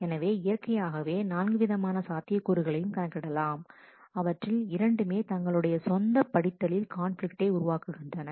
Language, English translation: Tamil, So, you can naturally enumerate the 4 possibilities, if both of them are reading their own conflict